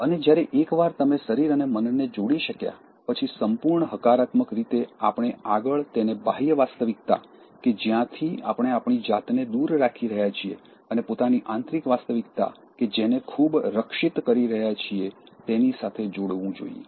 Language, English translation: Gujarati, And once you are able to connect the body and the mind, in all positivity, we should next connect this with the external reality from which we are distancing ourselves and keeping our own inner reality in a very insulated manner